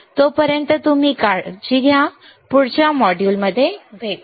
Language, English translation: Marathi, Till then you take care I will see you in the next module bye